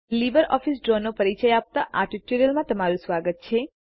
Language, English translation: Gujarati, Welcome to the Spoken Tutorial on Introduction to LibreOffice Draw